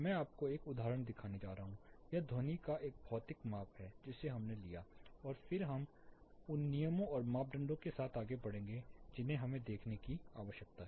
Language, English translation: Hindi, I am going to show you one example, this is a physical measurement of sound that we took and then we will proceed with what are the terms and parameters that we need to look at